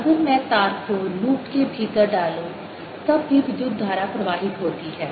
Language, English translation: Hindi, if i put the wire, the inner loop, then also the current flows